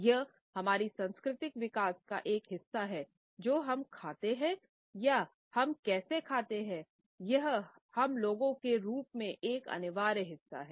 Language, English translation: Hindi, It is a part of our cultural growing up, what we eat and how we eat is an essential part of who we are as a people